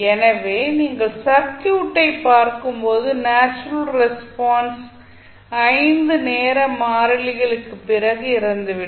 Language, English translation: Tamil, So, when you will see the circuit the natural response essentially dies out after 5 time constants